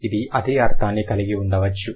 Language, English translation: Telugu, They don't have the same meaning